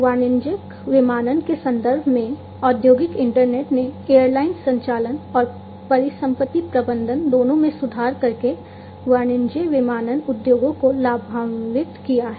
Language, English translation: Hindi, In terms of commercial aviation, the industrial internet, has benefited the commercial aviation industries by improving both airline operations and asset management